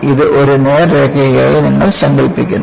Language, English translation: Malayalam, You imagine that, this as a straight line